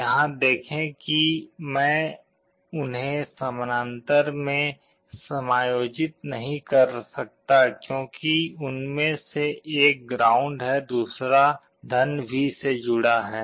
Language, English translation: Hindi, See here I cannot combine them in parallel because one of them is connected to ground other is connected to +V